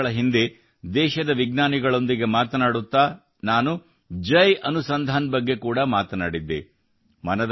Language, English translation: Kannada, A few years ago, while talking to the scientists of the country, I talked about Jai Anusandhan